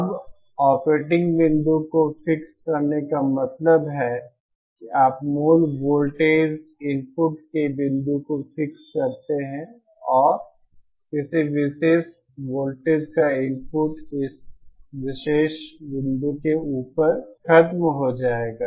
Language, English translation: Hindi, Now setting the operating point means if you, it means you fix the point of the basic voltage input and any further voltage input would be over and above this particular point